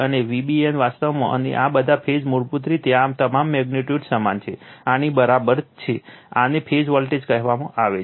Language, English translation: Gujarati, Now, V b n actually and all these phase basically this one is equal to V p all magnitudes are same, this is V p this is called phase voltage right